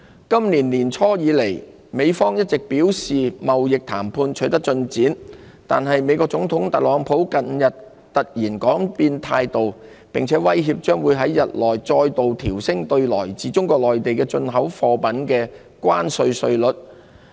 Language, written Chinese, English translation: Cantonese, 今年年初以來，美方一直表示貿易談判取得進展，但美國總統特朗普近日突然改變態度，並威脅將於日內再度調升對來自中國內地的進口貨品的關稅稅率。, Despite the United States insistence since the beginning of this year that progress has been made in the trade negotiations Donald TRUMP President of the United States did a dramatic volte - face recently threatening to impose additional tariffs on Mainland imports of goods again in a matter of days